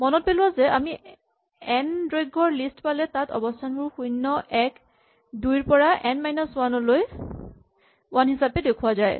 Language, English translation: Assamese, Remember that if we have a list of length n, the positions in the list are numbered 0, 1 up to n minus 1